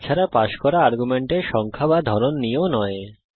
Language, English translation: Bengali, Nor even the type or number of argument we passed